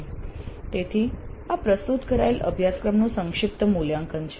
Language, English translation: Gujarati, So this is the summative evaluation of the course offered